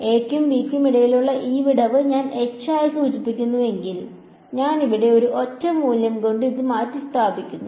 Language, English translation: Malayalam, If this gap between a and b I denote as h, I replace this by one single value over here right